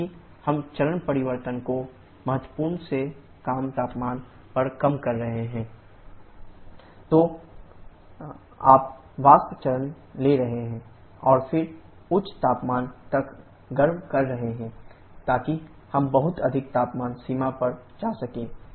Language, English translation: Hindi, Because we are doing the phase change at a temperature lower than critical, then you are taking the vapour phase and then heating up to a higher temperature, so that we can go too much high temperature limit